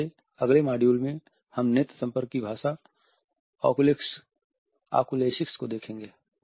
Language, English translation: Hindi, In our next module we will look at the oculesics, the language of the eye contact